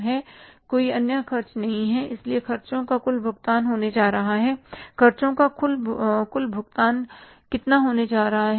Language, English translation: Hindi, So, total payment for expenses is going to be total payment for expenses is going to be how much